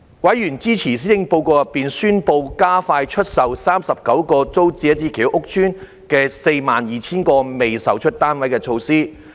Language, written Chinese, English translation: Cantonese, 委員支持施政報告中宣布加快出售39個租者置其屋計劃屋邨的 42,000 個未售單位的措施。, Members expressed support for the initiative announced in the Policy Address to accelerate the sale of the 42 000 unsold flats in the 39 Tenants Purchase Scheme TPS estates